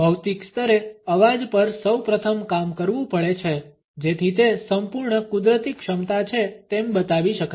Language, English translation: Gujarati, Voice has to be first worked on at a physical level to unleash it is full natural potential